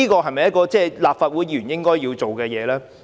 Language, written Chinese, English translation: Cantonese, 這是否立法會議員應要做的事呢？, Is that what Members of the Legislative Council should do?